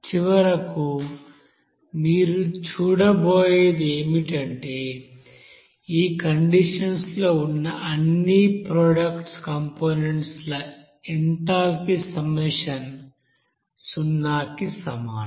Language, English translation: Telugu, So finally, what is that you will see that summation of all these you know product components enthalpy at that condition will be equals to zero